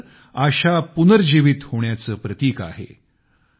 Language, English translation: Marathi, Easter is a symbol of the resurrection of expectations